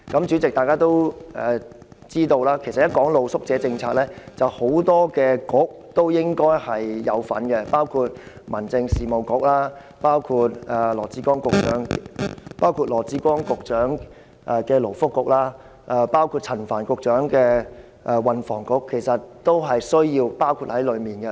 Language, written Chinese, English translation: Cantonese, 主席，大家都知道，其實露宿者政策與很多政策局都有關，包括民政事務局、羅致光局長的勞工及福利局，以及陳帆局長的運輸及房屋局。, Chairman as we all know the policy on street sleepers involves a number of bureaux including the Home Affairs Bureau the Labour and Welfare Bureau under Secretary Dr LAW Chi - kwong and the Transport and Housing Bureau under Secretary Frank CHAN